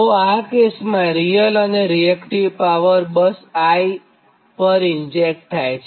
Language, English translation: Gujarati, so in that case the real and reactive power injected at bus i